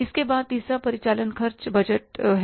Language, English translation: Hindi, Then is the third one is operating expenses budget